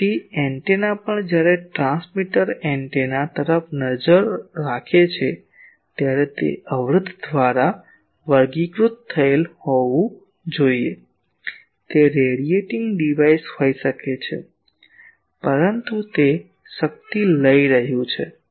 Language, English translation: Gujarati, So, antenna also when a transmitter is looking at antenna it should be characterized by an impedance it may be a radiating device, but it is taking power